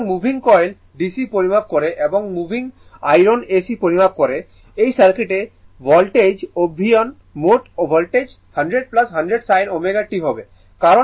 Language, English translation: Bengali, So, moving coil measures DC and moving iron measures AC right and the voltage acting in the circuit is the total voltage will be 100 plus 100 sin omega t